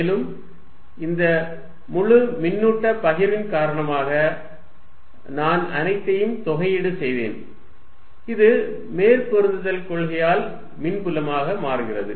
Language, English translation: Tamil, And due to this entire charge distribution, I just integrated all, this becomes the electric field by principle of super position